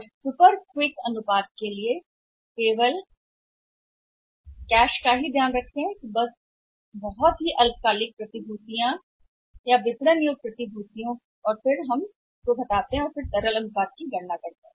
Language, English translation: Hindi, And for super quick ratio only be take into account the cash plus very short term securities, marketable securities and then we calculate liquidity ratio